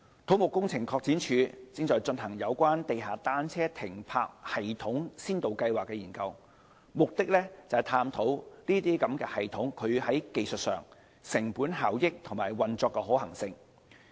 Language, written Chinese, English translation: Cantonese, 土木工程拓展署正進行有關地下單車停泊系統先導計劃的研究，目的是探討這些系統在技術、成本效益和運作上的可行性。, The Civil Engineering and Development Department is undertaking a pilot study on underground bicycle parking systems in a bid to examine their technical and operational feasibility and cost - effectiveness